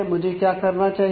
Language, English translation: Hindi, So, what I need to do